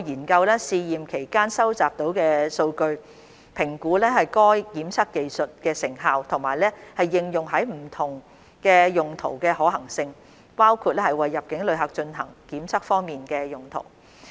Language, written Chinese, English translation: Cantonese, 我們將會研究試驗期間收集到的數據，評估該檢測技術的成效和應用於不同用途的可行性，包括為入境旅客進行檢測方面的用途。, We will study the data collected from the trial and assess the efficacy of the testing technique and the feasibility for applying it to different uses including testing for arriving passengers